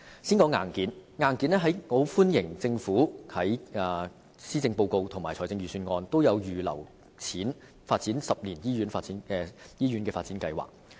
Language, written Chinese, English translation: Cantonese, 先說硬件，我歡迎政府在施政報告及預算案都有預留撥款，推行十年醫院發展計劃。, Let me start with hardware . I welcome the Government setting aside funds both in the Policy Address and the Budget for implementing the 10 - year Hospital Development Plan